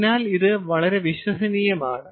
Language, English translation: Malayalam, so its its its very, very reliable